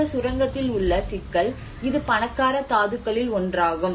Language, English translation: Tamil, And the problem with this mine I mean it is one of the richest ore